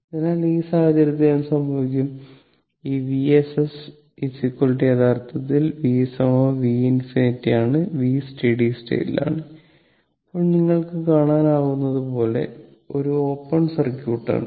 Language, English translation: Malayalam, So, in that case what will happen, this V s v ss is equal to actually v infinity is equal to is v, this is your v at steady state Now, as you can easily at this is open circuit